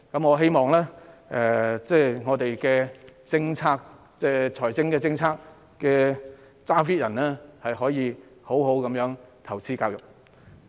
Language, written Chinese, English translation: Cantonese, 我希望我們的財政決策者可以好好地投資教育。, I hope the decision maker of our fiscal policy can make proper investment in education